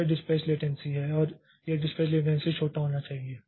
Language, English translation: Hindi, So, that is the dispatch latency and this dispatch latency should be small